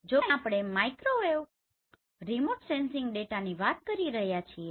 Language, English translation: Gujarati, So here since we are talking the Microwave Remote Sensing data